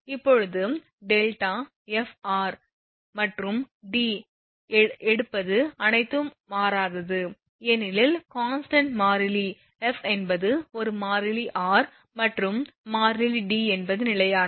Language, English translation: Tamil, Now, taking delta f r and D all are constant because delta is constant f is a constant r is constant D is constant